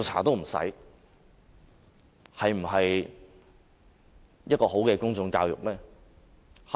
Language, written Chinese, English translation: Cantonese, 這是否好的公眾教育呢？, Is this a good example for public education?